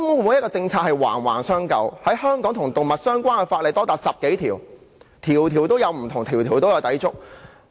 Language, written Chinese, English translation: Cantonese, 每項政策都環環相扣，與動物相關的香港法例多達10多項，每項不同，每項均有抵觸。, All the policies are interrelated . As many as 10 ordinances in Hong Kong touch upon animals and they are not compatible with one another